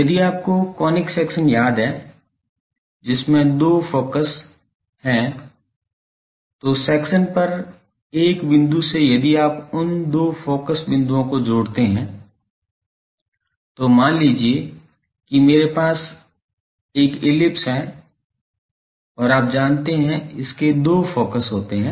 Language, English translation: Hindi, If you remember the conic sections which has two focuses so, from a point on the section if you add those two points distance focus; suppose I have a ellipse and it has you know two focus